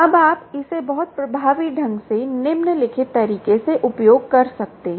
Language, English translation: Hindi, now you can use this very effectively in the following way